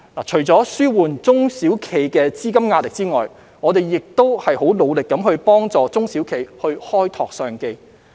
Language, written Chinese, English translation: Cantonese, 除了紓緩中小企的資金壓力外，我們亦致力幫助中小企開拓商機。, In addition to relieving the liquidity pressure of SMEs we are also committed to helping SMEs explore business opportunities